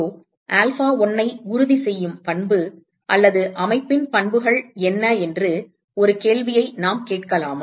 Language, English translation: Tamil, Now, can we ask a question as to when what is the property or rather what are the properties of the system ensure epsilon1 = alpha1